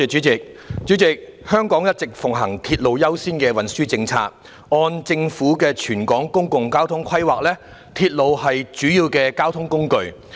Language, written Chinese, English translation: Cantonese, 主席，香港一直奉行"鐵路優先"的運輸政策，按政府的全港公共交通規劃，鐵路是主要的交通工具。, President Hong Kong has been implementing a railway first transport policy . According to the Hong Kong public transport planning of the Government railway is a major transport mode